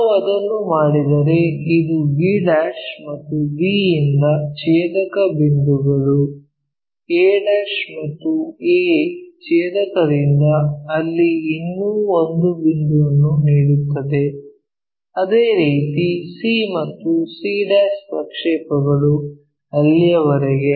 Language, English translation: Kannada, If we do that the intersection points from b' intersection from b intersection this one, from a intersection and a' intersection gives me one more point there, similarly c projection all the way there, and c' projection to that